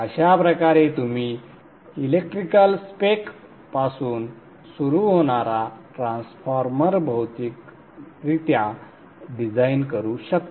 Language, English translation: Marathi, This way you can physically design the transformer from the electrical spec, starting from the electrical spec